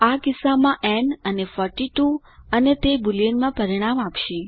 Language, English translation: Gujarati, In this case n and 42 and gives the result in Boolean